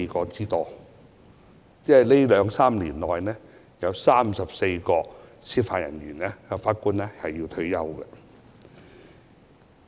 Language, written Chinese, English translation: Cantonese, 即是說，這兩三年內，將會有34位法官或司法人員退休。, It means that in the next two to three years 34 Judges or Judicial Officers will retire